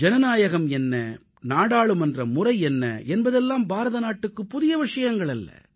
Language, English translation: Tamil, What is a republic and what is a parliamentary system are nothing new to India